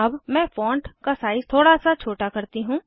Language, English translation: Hindi, Let me make the font size likely smaller